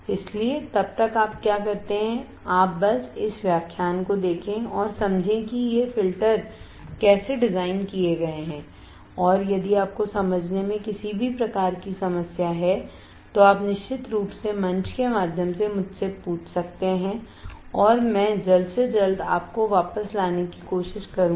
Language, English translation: Hindi, So, till then what you do is, you just look at this lecture understand how these filters are designed and if you have any kind of problem in understanding, you can definitely ask me through the forum and I will try to get back to you at my earliest